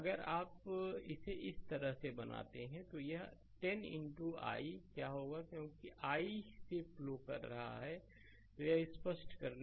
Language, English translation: Hindi, So, if you make it like this then what will happen this 10 into i, because i is flowing through i is flowing let me clear it